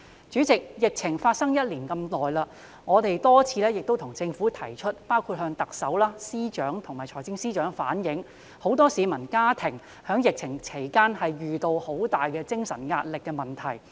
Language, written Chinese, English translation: Cantonese, 在這一段長時間，我們多次向政府包括向特首、政務司司長和財政司司長反映，很多市民和家庭在疫情期間遇到很大的精神壓力問題。, During this long period of time we have time and again reflected to the Government including the Chief Executive the Chief Secretary for Administration and FS that many members of the public and families had encountered serious stress problems during the pandemic